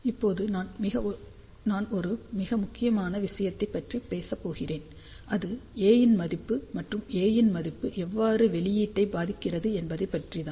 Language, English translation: Tamil, Now, I am going to talk about one very very important thing and that is what about the value of A and how this value of A affects the output